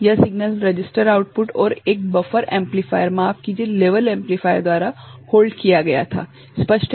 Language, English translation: Hindi, This signal was held by the registered output and the buffer this amplifier sorry, this level amplifier clear